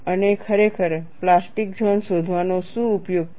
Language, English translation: Gujarati, And really, what is the use of finding out the plastic zone